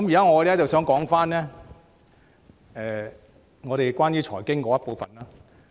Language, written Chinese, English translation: Cantonese, 我現在想討論關於財經的部分。, Let me focus on the part of finance now